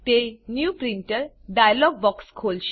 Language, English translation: Gujarati, It will open the New Printer dialog box